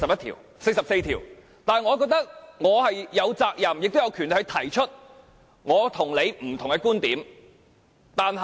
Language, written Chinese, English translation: Cantonese, 但是，我覺得我有責任，亦有權力提出我與你不同的觀點。, Nevertheless I am duty - bound and entitled to introduce some alternate views